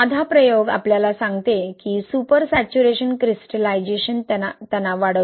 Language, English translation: Marathi, The simple experiment tells us that the super saturation gives rise to crystallization stress